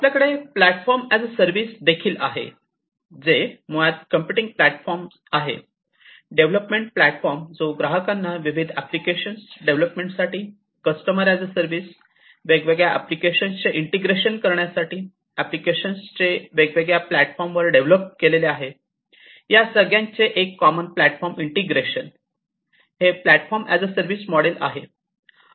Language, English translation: Marathi, We have platform as a service, which is basically you know the computing platform, the development platform that is going to be offered to the customers as a service for further development of different applications, integration of different applications, which have been prepared, which have been made, which have been developed in different platforms integration of it under a common platform; so, these are platform as a service model